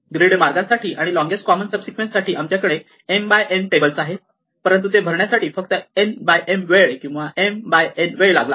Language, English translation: Marathi, For the grid path and for longest common subsequence, we had tables, which are m by n, but it took only n by m time or m by n time to fill that